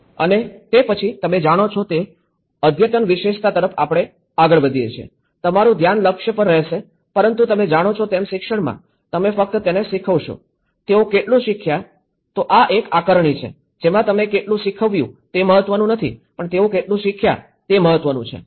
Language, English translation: Gujarati, And then, we move on to the advanced specialization you know, your focus will be oriented but in the teaching you know, it is not just about what you teach, how much they have learnt, this is assess that it is not about how much you have thought but how much they have learned is more important